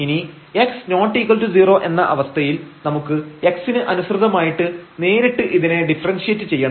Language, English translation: Malayalam, Now, here to get this when x is not equal to 0 we have to directly differentiate this with respect to x